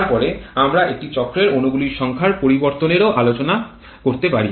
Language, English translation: Bengali, Then we can also take care of the variation in the number of molecules over a cycle